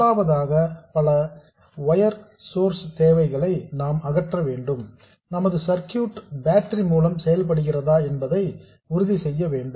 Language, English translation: Tamil, First of all we have to eliminate the need for multiple DC bias sources we have to make sure that our circuit works with a single battery